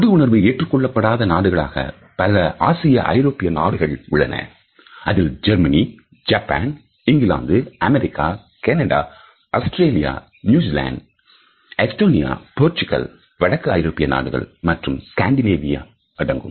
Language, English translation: Tamil, Cultures where touch is not encouraged include several Asian and European countries including Germany, Japan, England, USA, Canada, Australia, New Zealand, Estonia, Portugal, Northern Europe and Scandinavia